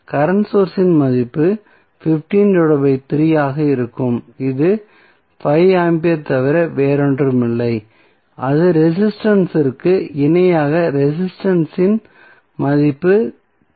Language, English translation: Tamil, Current source value would be 15 by 3 that is nothing but 5 ampere and in parallel with one resistance that value of resistance would be 3 ohm